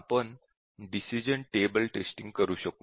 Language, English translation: Marathi, How do we develop the decision table testing